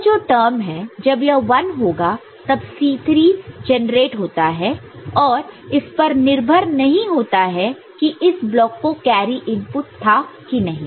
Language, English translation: Hindi, So, this term this term ok, we if when it is 1 this C 3 is getting generated, irrespective of there was a carry to the input to this block or not, ok